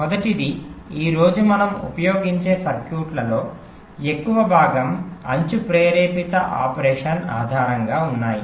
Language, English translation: Telugu, first is that most of the circuits that we use today there are based on edge trigged operation